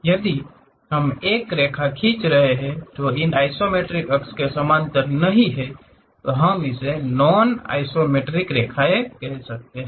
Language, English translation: Hindi, If we are drawing a line, not parallel to these isometric axis; we call non isometric lines